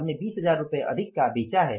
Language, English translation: Hindi, We have sold for by 20,000 rupees more